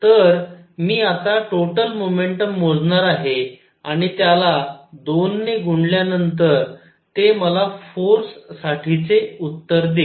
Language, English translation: Marathi, So, I will calculate the total momentum coming in multiplied by 2 and that would give me the answer for the force